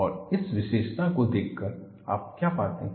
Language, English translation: Hindi, And by looking at this feature, what do you find